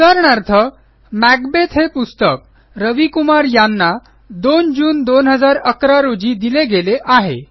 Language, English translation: Marathi, Also, for example,How will you establish that Macbeth was issued to Ravi Kumar on 2nd June 2011